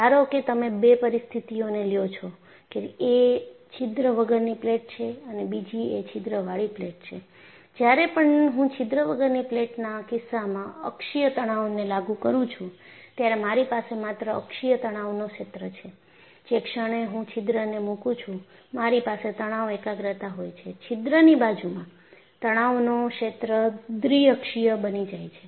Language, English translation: Gujarati, Suppose you take two situations: one plate without a hole, and another plate with the hole; when I apply uniaxial tension in the case of a plate without a hole,I would have only uniaxial stress field; the moment I put a hole, I have stress concentration, and in the vicinity of the hole,the stress filed becomes bi axial